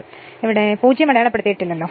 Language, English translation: Malayalam, So, at this 0 is not marked here